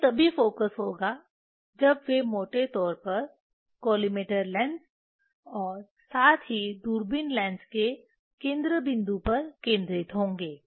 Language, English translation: Hindi, it will be focused when they are roughly at the focal point of the collimator lens as well as the telescope lens